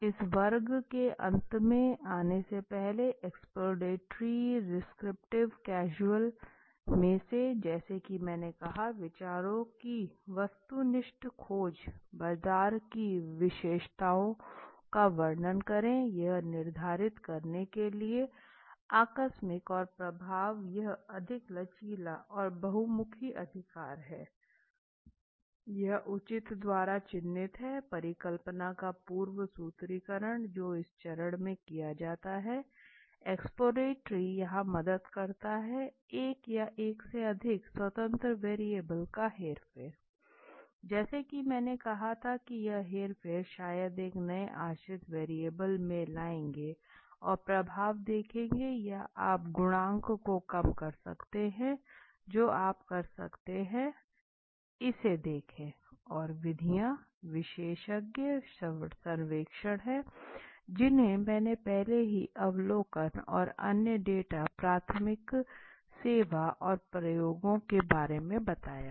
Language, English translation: Hindi, Of the exploratory descriptive causal before we come to end to this class, so as I said objective discovery of ideas, describe market characteristics causal it to a determine the casual and effect this is more flexible and versatile right, this is marked by the proper prior formulation of hypothesis which is done from this stage exploratory helps here right, manipulation of one or more independent variables as I said this manipulation you would maybe bring in a new independent variable and see the effect or you might decrease change the coefficient you can look at so and the methods are expert surveys which I have already explained observation and other data primary service and experiments, right